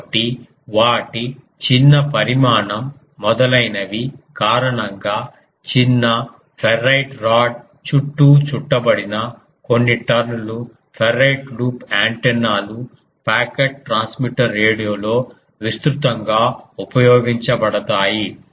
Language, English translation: Telugu, So, because of their small size etcetera ferrite loop antennas of few tones wound around a small ferrite rod are used widely in pocket transmitter radio